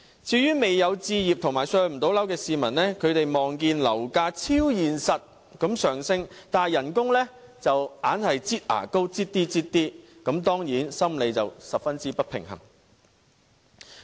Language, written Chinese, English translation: Cantonese, 至於未有置業和無法"上樓"的市民，他們看到樓價超現實地上升，但工資卻總是"擠牙膏"般逐少增加，當然心理十分不平衡。, Regarding the people who have yet to be able to purchase or afford a flat it is understandable that they become psychologically imbalanced in the face of soaring property prices beyond their imagination while wages only edge up each year